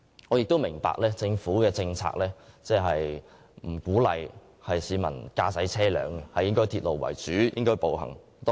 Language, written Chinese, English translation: Cantonese, 我們亦明白，政府政策並不鼓勵市民駕車，而應以鐵路及步行為主。, We also understand that the Governments policy is to encourage people to adopt rail and walking instead of driving as the major means of transport